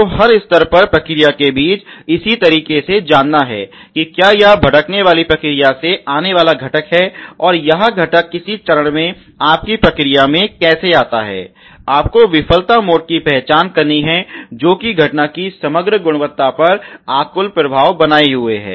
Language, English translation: Hindi, So, in this same manner between process at every level whether it is a components coming from the a wander process your process or it is a components produce in how which comes to your process at some stage, you have to identify the failure modes which are created disturbing influence the on the overall quality of occurrence ok